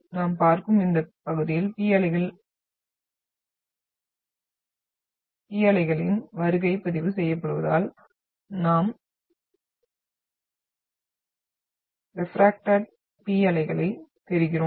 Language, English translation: Tamil, So only what we see, the arrival or the recording of the P waves in this area we see is because of the what we are getting the refracted P waves